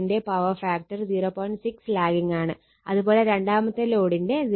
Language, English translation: Malayalam, 6 lagging , and the for second load also it is your 0